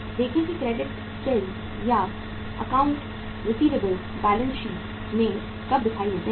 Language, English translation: Hindi, See that credit sales or accounts receivables appear in the balance sheet when